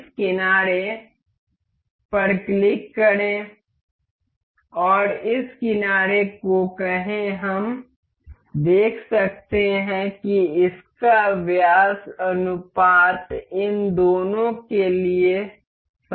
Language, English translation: Hindi, Click this edge and say this edge, it will we can see the t diameter t th ratio the diameter ratio is same for both of these